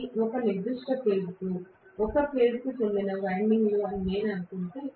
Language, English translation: Telugu, If I assume that these are the windings belonging to a particular phase, A phase or whatever